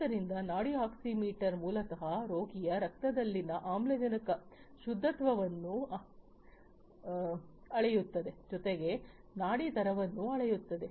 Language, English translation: Kannada, So, pulse oximeter, basically measures the oxygen saturation in the blood of the patient, as well as the pulse rate